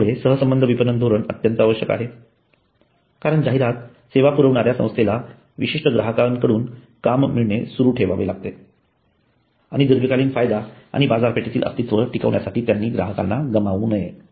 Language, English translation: Marathi, So relationship marketing is absolutely essential because the advertising agency has to continue getting the orders from their particular customers and they should not lose these customers in order to remain profitable and sustainable over the long time